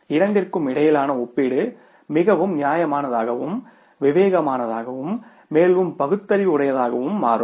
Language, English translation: Tamil, And then the comparison between the two becomes more reasonable, more sensible and more rational